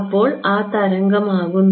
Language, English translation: Malayalam, The wave becomes